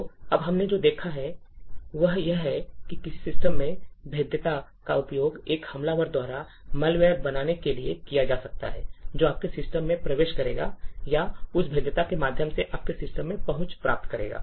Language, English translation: Hindi, So now what we have seen is that a vulnerability in a system can be utilised by an attacker to create malware which would enter into your system or gain access into your system through that particular vulnerability